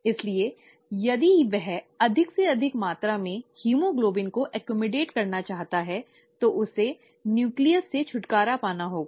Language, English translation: Hindi, So if it wants to accommodate more and more amount of haemoglobin, it has to get rid of the nucleus